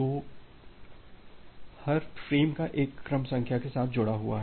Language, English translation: Hindi, So, every frame is associated with one sequence number